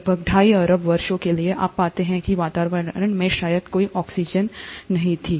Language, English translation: Hindi, Almost for the first two and a half billion years, you find that there was hardly any oxygen in the atmosphere